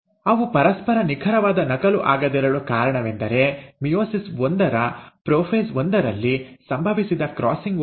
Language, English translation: Kannada, The reason they are not an exact copy of each other is thanks to the crossing over which has taken place in prophase one of meiosis one